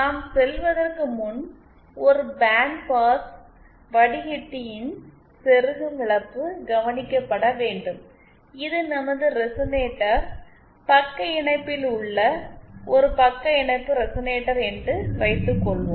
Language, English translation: Tamil, Before we go, we have to note that the insertion loss of a band pass filter, suppose this is our resonator, a shunt resonator in shunt